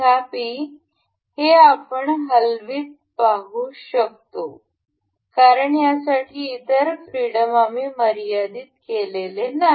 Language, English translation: Marathi, However, this we can see this moving because we have not constraint other degrees of freedom for this